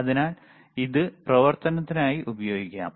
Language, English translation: Malayalam, So, it can be used for operation